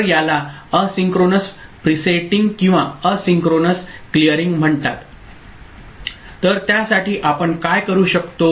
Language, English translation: Marathi, So, that is called asynchronous presetting or asynchronous clearing, So, for that what we can do